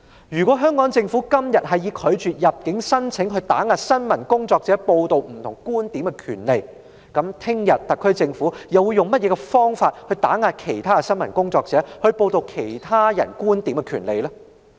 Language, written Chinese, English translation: Cantonese, 如果香港政府今天以拒絕入境申請來打壓新聞工作者報道不同觀點的權利，明天特區政府又會用甚麼方法來打壓其他新聞工作者報道其他觀點的權利呢？, If today the Hong Kong Government denies the entry of journalists into Hong Kong as a means to suppress their reporting of different views what method will the SAR Government use tomorrow to suppress the rights of other journalists?